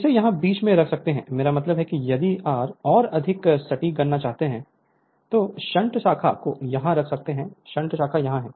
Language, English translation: Hindi, You can put it middle here, I mean if you want if you want more accurate calculation then you can put you can put the shunt branch is here, shunt branch is here